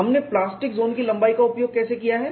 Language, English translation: Hindi, How we have utilized the plastic zone length